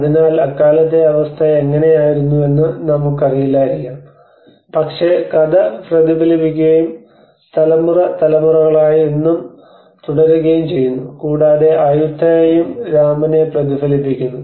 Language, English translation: Malayalam, So maybe we never know how was the situation at that time but the story has been reflected and has been continued for generations and generations even today, and Ayutthaya also reflects back to Rama